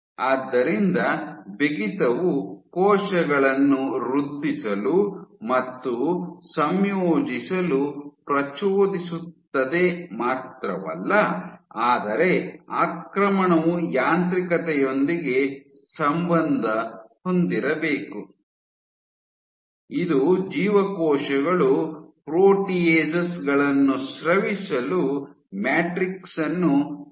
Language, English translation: Kannada, So, not only the stiffness stimulates cells to start to proliferate and start to integrate, but the invasion must be associated with as mechanism which allows cells to secrete proteases to degrade the matrix